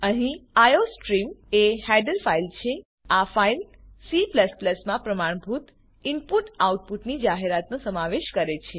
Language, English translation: Gujarati, Here iostream is a header file This file includes the declaration of standard input output functions in C++